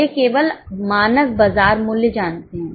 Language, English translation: Hindi, They only know the standard market price